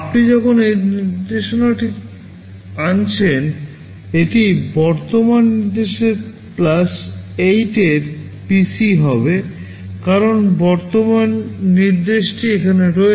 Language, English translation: Bengali, When you are fetching this instruction, this will be the PC of the current instruction plus 8, because current instruction is here